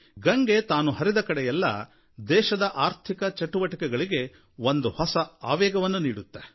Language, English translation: Kannada, The flow of Ganga adds momentum to the economic pace of the country